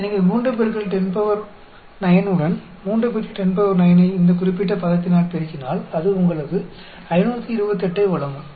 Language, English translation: Tamil, So, multiply 3 into 10 power 9 with, 3 into 10 raised to the power 9 multiplied by this particular term, that will give you 528